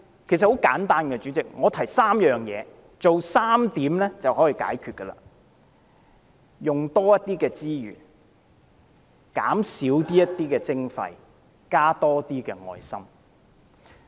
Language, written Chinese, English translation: Cantonese, 其實，很簡單，代理主席，只需做3件事，便可以解決，就是用多些資源、減少一點徵費，以及多加一點愛心。, In fact it is very simple . Deputy President we need only do three things to resolve it ie . utilize more resources reduce levies and be more caring